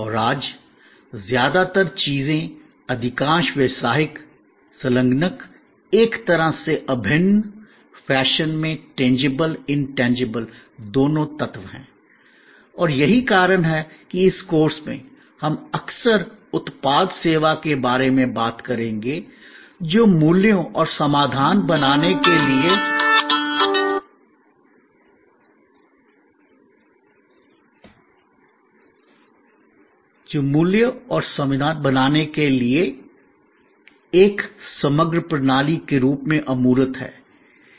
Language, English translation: Hindi, And most things today, most business engagements are both elements, tangible and intangible in a kind of integral fashion and that is why in this course, we will often talk about product service tangible, intangible as a composite system for creating values and solutions